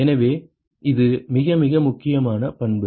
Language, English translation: Tamil, So, this is a very very important property